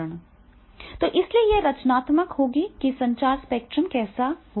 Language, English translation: Hindi, So therefore this will be the creativity that is the, how it will be the communication spectrum will be